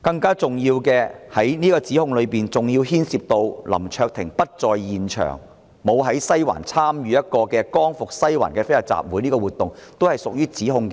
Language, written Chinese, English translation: Cantonese, 更重要的是，何議員的議案指控林卓廷議員在西環參與"光復西環"的非法集會，但林議員當時不在現場。, More importantly Dr HOs motion accuses Mr LAM Cheuk - ting of participating in an unlawful assembly known as Liberate Sai Wan in Sai Wan but the fact is that Mr LAM was not on the scene at that time